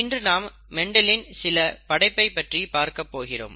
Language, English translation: Tamil, We are going to review, we are going to see some of Mendel’s work